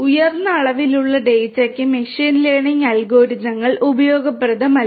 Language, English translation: Malayalam, Machine learning algorithms are not useful for high dimensional data